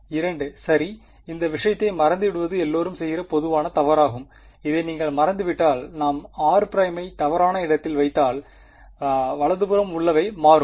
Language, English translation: Tamil, 2 ok, it is very its a very common mistake is to forget about this thing, if you forget about this if we put r prime in the wrong place then the right hand side will change right